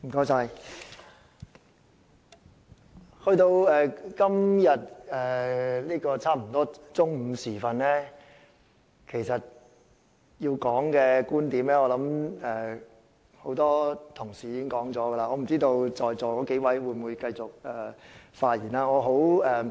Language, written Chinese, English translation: Cantonese, 現在差不多來到中午時分，要說的觀點，很多同事已經說了，我不知道在座數位議員還有沒有打算發言。, The time is almost noon now . The views I intend to raise have already been covered by a number of Honourable colleagues and I do not know if the several Members now present in the Chamber would speak on the motion or not